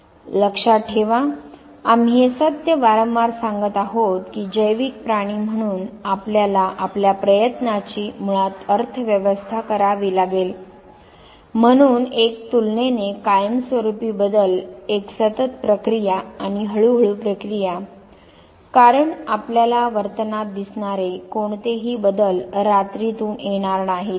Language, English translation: Marathi, Remember, we are repetitively saying this fact that as biological creature we have to basically economize our effort, so a relatively permanent change, a continuous process and also its gradual process gradual process because any change that you see in the behavior will not come overnight